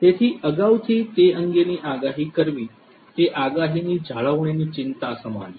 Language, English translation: Gujarati, So, predicting those in advance is what predictive maintenance concerns